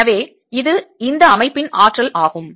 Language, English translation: Tamil, so this is, this is this is the energy of this system